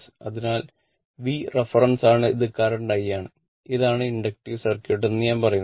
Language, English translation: Malayalam, So, V is my reference thing and your what we call this is the current I say R it is in it is inductive circuit